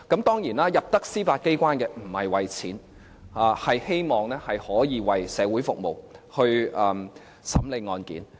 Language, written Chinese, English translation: Cantonese, 當然，大部分在司法機關工作的法官不是為了錢，而是希望可以為社會服務和審理案件。, Of course most of the judges who work in the Judiciary are not after money; they wish to serve the society and hear cases